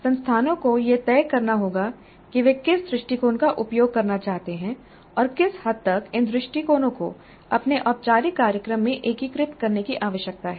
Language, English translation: Hindi, Institutes must decide on which approaches they wish to use and what is the extent to which these approaches need to be integrated into their formal programs